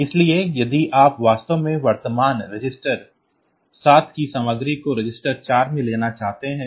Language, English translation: Hindi, So, if you really want to MOV the content of current register 7 to register 4